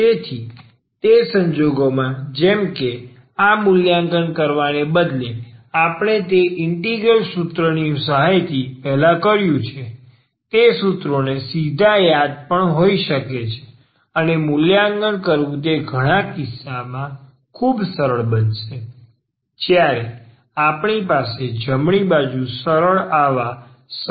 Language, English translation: Gujarati, So, in those cases, instead of evaluating this like we have done earlier with the help of that integral formula, we can also directly remember these formulas and that will be much easier in many cases to evaluate when we have the right hand side the simple such simple functions